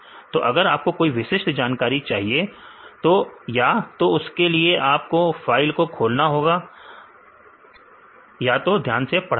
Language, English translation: Hindi, If you want to extract only particular information; so, either you need to open the file and you have to read properly